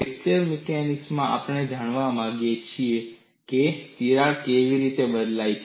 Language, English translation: Gujarati, In fracture, we want to know how the crack propagates